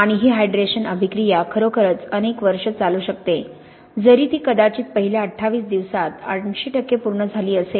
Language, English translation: Marathi, And this hydration reaction can really go on for many years although it is probably like eight percent complete within the first twenty eight days